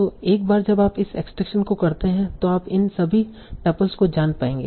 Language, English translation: Hindi, So once you do this extraction, you will have all these tuples